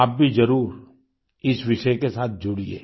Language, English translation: Hindi, You too should connect yourselves with this subject